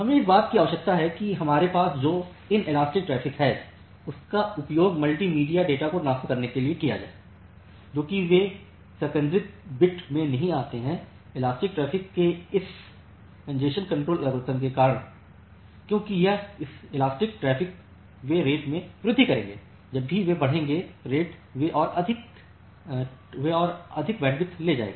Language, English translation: Hindi, We required that the inelastic traffic that we have which is used to transfer a multimedia data they do not get into congestion bit, due to this congestion control algorithm of the elastic traffic because this elastic traffic they will increase the rate, whenever they will increase the rate they will take more bandwidth